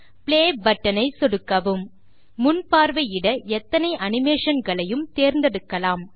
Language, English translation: Tamil, Click on the Play button to observe the animation that you have added